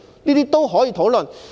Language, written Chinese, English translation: Cantonese, 這些均可以討論。, All these can be discussed